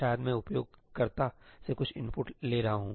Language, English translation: Hindi, Maybe I am taking some input from the user